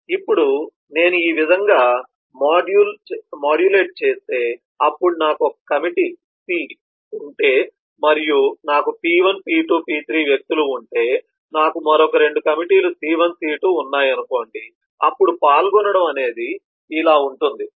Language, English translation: Telugu, now if i just modulate like this, then it will be quite possible that if i have a committee c and i have persons p1, p2, p3, i have another committee, say 2 committee, c1, c2